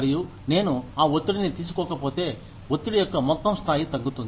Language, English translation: Telugu, And, if I do not take on that stress, the overall level of stress, comes down